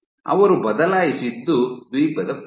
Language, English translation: Kannada, What they changed was the area of the Island